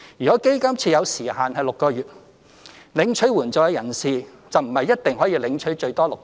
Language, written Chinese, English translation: Cantonese, 若基金設有時限6個月，領取援助的人士便不一定可領取最多6個月。, If the fund is implemented with a time limit of six months the recipients may not necessarily receive the assistance for up to six months